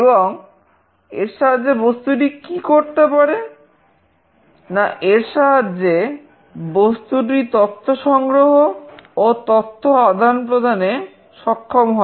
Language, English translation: Bengali, And what it enables, it enables the object to collect and exchange data